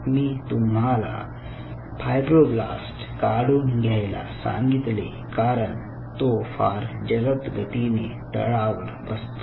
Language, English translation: Marathi, i told you how you are removing the fibroblasts, because the fibroblasts will be settling down faster